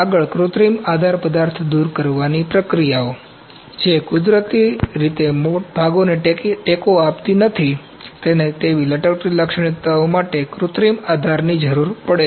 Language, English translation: Gujarati, Next is synthetic support material removal, the processes which do not naturally support parts, require synthetic support for overhanging features